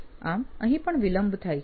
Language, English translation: Gujarati, So this is late also